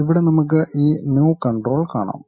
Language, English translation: Malayalam, Here we can see this New control